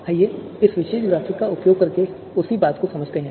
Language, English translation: Hindi, So let us understand the same thing using this particular graphics